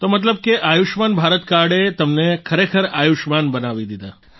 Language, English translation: Gujarati, So the card of Ayushman Bharat has really made you Ayushman, blessed with long life